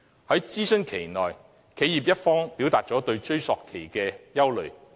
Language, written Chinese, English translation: Cantonese, 在諮詢期間，企業一方表達了對追溯期的憂慮。, During the consultation period the enterprises expressed their concerns about the retrospective period